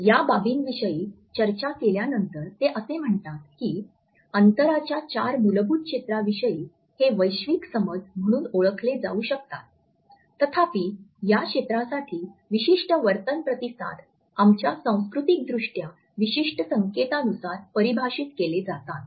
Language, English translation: Marathi, After having discussed these dimensions, he also says that there is what can be termed as a cultural universal understanding of the four basic zones of distances; however, specific behavior responses to these zones are defined according to our culturally specific conventions